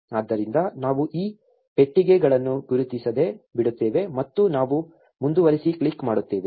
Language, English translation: Kannada, So, we just leave these boxes unchecked and we click continue